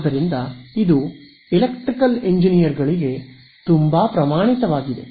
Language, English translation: Kannada, So, this is I mean for Electrical Engineers this is very standard